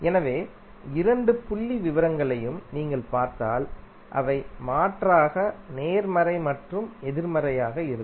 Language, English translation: Tamil, So if you see both of the figures they are going to be alternatively positive and negative